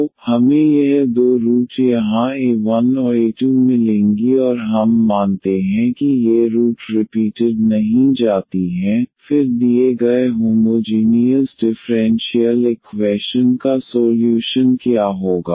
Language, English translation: Hindi, So, we will get this two roots here alpha 1 and alpha 2 and we assume that these roots are non repeated, then what will be the solution of the given homogeneous differential equation